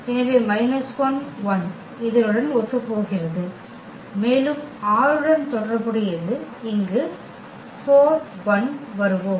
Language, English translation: Tamil, So, that is corresponding to this one, and corresponding to 6 we will get here 4 1